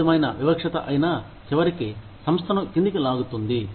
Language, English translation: Telugu, Any form of discrimination, will eventually pull the organization down